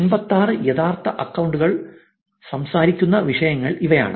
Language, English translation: Malayalam, These are the topics that the 86 real accounts are talking about